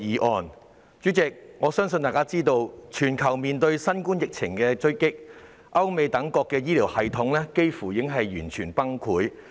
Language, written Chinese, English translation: Cantonese, 代理主席，眾所周知，全球面對新冠疫情衝擊，歐美等地的醫療系統幾乎已完全崩潰。, Deputy President as we all know the healthcare systems in places such as Europe and the United States have almost collapsed completely in the face of the blow dealt by the global COVID - 19 pandemic